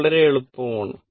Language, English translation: Malayalam, This is very easy